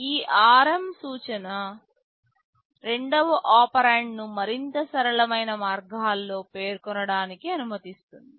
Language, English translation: Telugu, This ARM instruction allows the second operand to be specified in more flexible ways